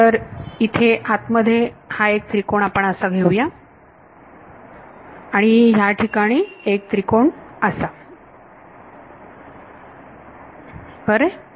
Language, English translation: Marathi, So, let us take 1 triangle over here inside like this and 1 triangle over here inside ok